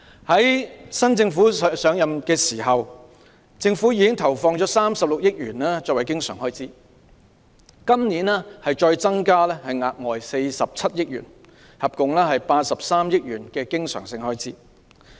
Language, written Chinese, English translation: Cantonese, 在現屆政府上任時，政府已投放36億元作為教育的經常開支，今年再額外增加47億元，合共83億元的經常性開支。, When this Government assumed office it earmarked 3.6 billion recurrent expenditure for the education sector and a further 4.7 billion for this year amounting to a total of 8.3 billion recurrent expenditure